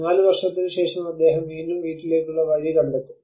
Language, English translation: Malayalam, Then after 4 years he will again find his way back to home